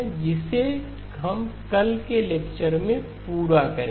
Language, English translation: Hindi, That we will complete in tomorrow's lecture